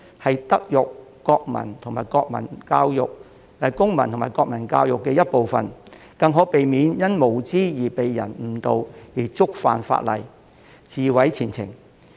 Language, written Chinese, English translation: Cantonese, 這是德育、公民及國民教育的一部分，更可避免他們因無知而被人誤導，觸犯法例，自毀前程。, These actions should become a part of our moral civic and national education and they can at the same time prevent students from being misled due to youthful ignorance thus breaking the law and ruining their future